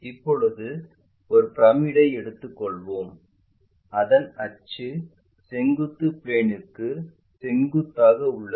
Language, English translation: Tamil, Now, let us take a pyramid and its axis is perpendicular to vertical plane